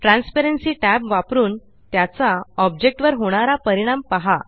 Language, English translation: Marathi, Use the Transparency tab and see its effects on the objects